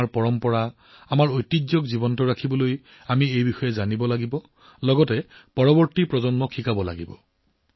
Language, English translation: Assamese, To keep our traditions, our heritage alive, we have to save it, live it, teach it to the next generation